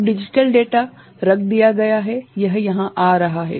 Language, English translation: Hindi, Now, the digital data is put, is coming over here right